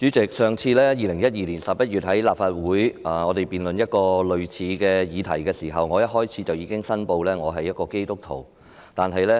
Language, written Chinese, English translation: Cantonese, 主席，我們上次在立法會辯論類似的議題是在2012年11月，我當時在發言開始時申報我是基督徒。, President the last time we debated a similar subject in the Legislative Council was in November 2012 . At that time I declared my Christianity belief at the beginning